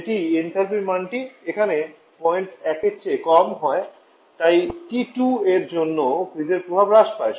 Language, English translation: Bengali, That is the enthalpy value there is less than point one to refrigeration effect decrease for this T2